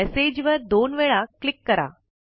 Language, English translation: Marathi, Lets double click on the message